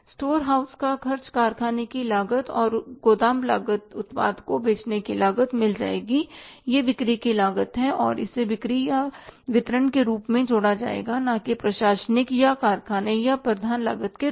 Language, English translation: Hindi, Store house expenses they will go in the factory cost and warehouse charges will be the cost of the product to be sold that is the cost of sales and that will be added as the selling and distribution overhead not as the administrative or the factory or the prime cost item and then after that we have the